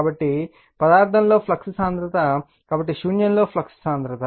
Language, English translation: Telugu, So, flux density in material, so flux density in a vacuum